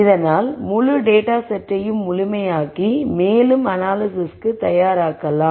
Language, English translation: Tamil, So that I make the whole dataset complete and ready for further analysis